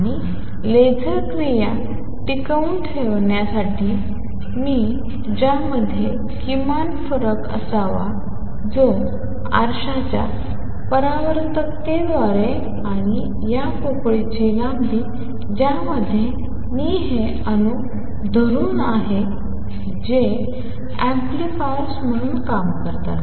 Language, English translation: Marathi, And in order to sustain laser action I should have minimum difference between them which is given by the reflectivity of the mirror and the length of this cavity in which I am holding these atoms, and which work as the amplifiers